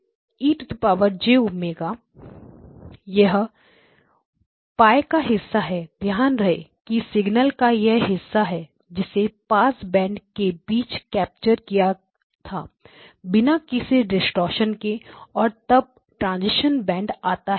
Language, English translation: Hindi, X0 e of j omega, this is the portion Pi notice that there is a part of the signal which is captured between the pass band without any distortion and then the transition band occurs